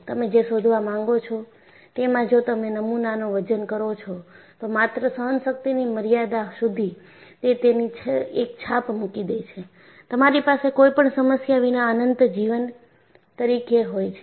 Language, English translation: Gujarati, So, what you find is, if you load the specimen, only to the endurance limit, it gives an impression that, you will have infinite life without any problem